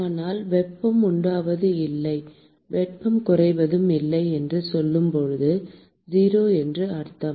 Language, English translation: Tamil, But when we say that there is no generation or loss of heat, which means that the dissipation is 0